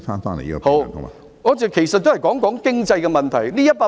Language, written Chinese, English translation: Cantonese, 好的，我其實是談及經濟的問題。, Alright I am actually talking about the economy